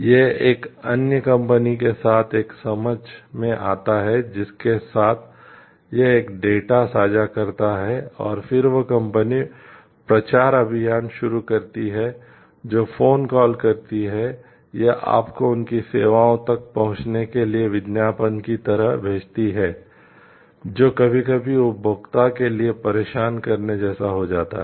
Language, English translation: Hindi, It enters into a understanding with another company with whom it shares a data and then that company starts promotional campaigning does phone call or sends you like advertisements for accessing their services which sometimes become like maybe irritating for the consumer